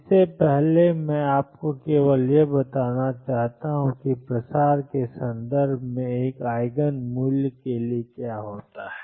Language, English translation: Hindi, Before that I just want to tell you what happens for an Eigen value in terms of it is spread